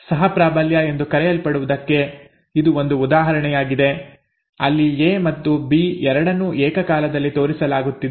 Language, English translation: Kannada, And this is also an example of what is called co dominance where both A and B are expressed are shown are showing up simultaneously, okay